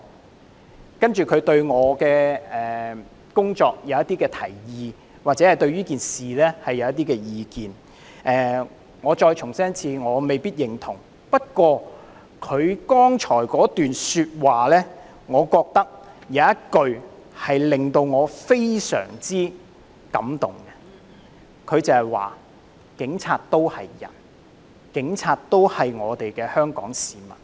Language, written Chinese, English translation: Cantonese, "然後，這位選民對我的工作提出一些建議或對這件事提出一些意見，我再重申，我未必認同，但剛才他這段說話，我覺得有一句令我非常感動，便是警察都是人，警察都是我們的香港市民。, end of quote This voter went on to offer some suggestions on my work and put forward his views on this issue . Let me reiterate that while we are not exactly on the same page I am deeply touched by one sentence in his remarks that I read out just now―police officers are human beings and members of the Hong Kong public too